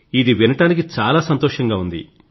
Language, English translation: Telugu, Great… it's nice to hear that